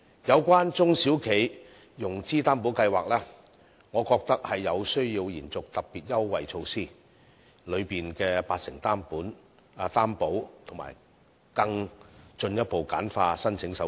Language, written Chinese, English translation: Cantonese, 有關"中小企融資擔保計劃"，我覺得有需要延續特別優惠措施當中的八成擔保及進一步簡化申請手續。, As regards the SME Financing Guarantee Scheme I think it is necessary to further extend the application period for the 80 % Guarantee Product in the Special Concessionary Measures under the Scheme and to further streamline the application procedures